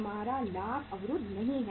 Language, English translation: Hindi, Our profit is not blocked